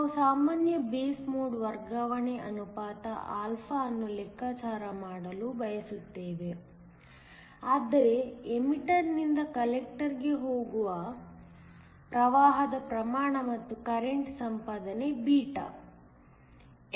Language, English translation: Kannada, We want to calculate the common base mode transfer ratio α, which means the amount of current that goes from the emitter to the collector, and also the current gain β